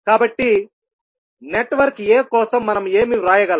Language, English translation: Telugu, So, what we can write for network a